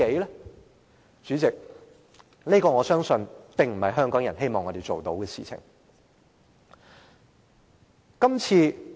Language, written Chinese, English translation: Cantonese, 代理主席，我相信這不是香港人希望我們做的事情。, Deputy President I do not think this is what Hong Kong people want us to do